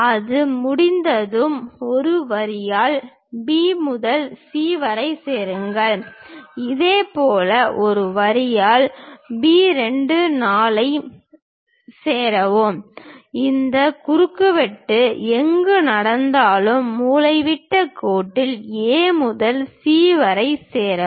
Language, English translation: Tamil, Once that is done join B to C by a line similarly join B 2 4 by a line and join A to C the diagonal line wherever this intersection is happening call that point as 2 and 1